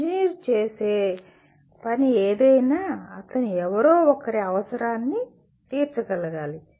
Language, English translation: Telugu, Anything that an engineer does, he is to meet somebody’s requirement